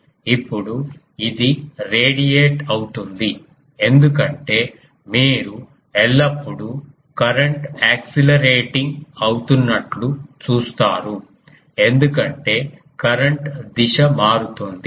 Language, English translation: Telugu, Now, this one will radiate because you see always the current is accelerating because the direction of the current is changing